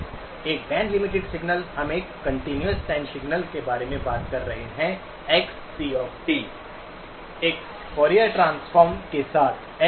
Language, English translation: Hindi, A band limited signal, we are talking about a continuous time signal, Xc of t with a Fourier transform, Xc of j Omega